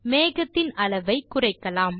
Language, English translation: Tamil, Let us reduce the size of this cloud